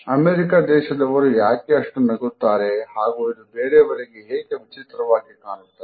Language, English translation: Kannada, So, why do American smile so much and why is that so strange to everyone else